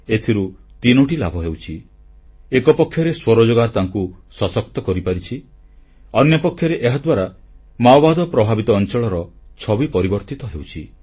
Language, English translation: Odia, This has three benefits on the one hand selfemployment has empowered them; on the other, the Maoist infested region is witnessing a transformation